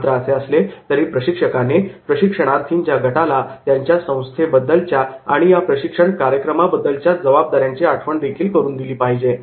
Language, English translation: Marathi, However, a trainer also should remind the group of participants’ responsibility towards their organisation and commitment to the program